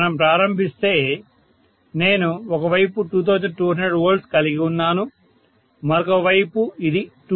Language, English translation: Telugu, So to start with, I am having 2200 V on one side and on the other side, it is 220 V, okay